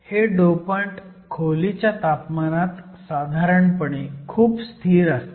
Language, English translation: Marathi, These dopants are usually very stable at room temperature